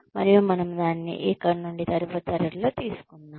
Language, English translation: Telugu, And, we will take it from here, in the next class